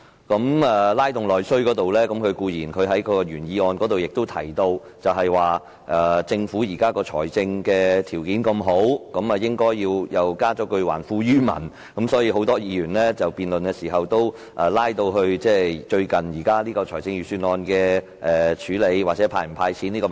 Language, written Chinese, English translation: Cantonese, 在"拉動內需"方面，他在原議案提到政府的財政儲備豐裕，應還富於民，所以很多議員在辯論時也談到最近財政預算案的安排或應否"派錢"的問題。, As regards stimulating internal demand Mr SHIU stated in his original motion that given the Governments ample fiscal reserves it should return wealth to the people and thus a lot of Members have discussed in the debate the arrangements proposed in the latest Budget or whether or not cash handouts should be made